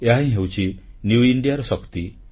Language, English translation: Odia, This is the power of New India